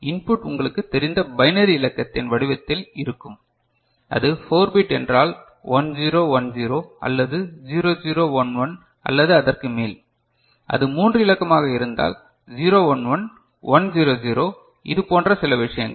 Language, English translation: Tamil, Input will be in the form of a you know binary digit say if it is a 4 bit then 1 0 1 0 or 0 0 1 1 or so, if it is a 3 digit 0 1 1, 1 0 0 some such thing